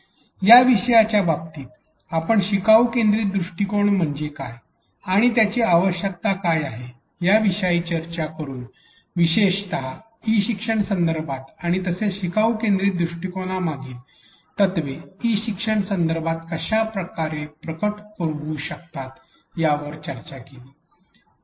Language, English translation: Marathi, In terms of topics, we began by discussing what is meant by learner centric approach and what is its need especially in the context of e learning and also how do the principles behind a learner centric approach manifest in an e learning context